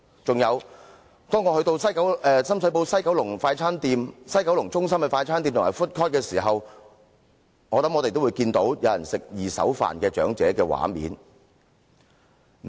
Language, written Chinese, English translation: Cantonese, 此外，當我們到深水埗西九龍中心的快餐店和 food court 時，相信也會看到有長者吃"二手飯"的畫面。, In addition I believe when we go to the fast food restaurants and the food court of Dragon Centre in Sham Shui Po we will find some elderly people eating the leftovers of others